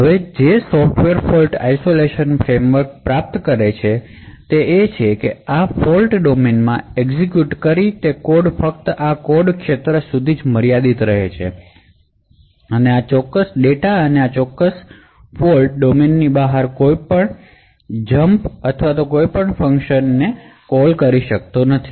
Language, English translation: Gujarati, Now what the Software Fault Isolation framework achieves is that code that is executing within this fault domain is restricted to only this code area and this particular data and any jumps or any function invocation outside this particular fault domain would be caught or prevented